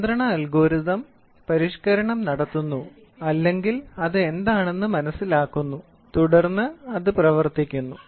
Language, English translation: Malayalam, Control algorithm does the modification or understands what is it then it actuates